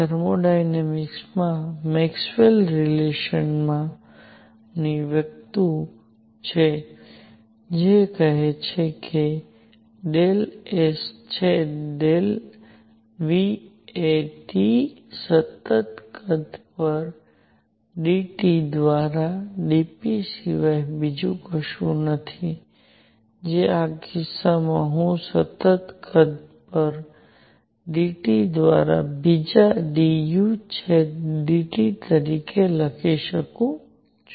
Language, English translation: Gujarati, Now there is something called the Maxwell relation in thermodynamics, that says that del S by del V at T is nothing but dp by dT at constant volume which in this case I can write as one third dU by dT at constant volume